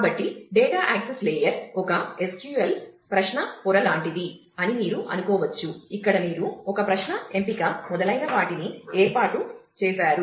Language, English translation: Telugu, So, you can think of data access layer is something like a SQL query layer where, you have formed a query select etc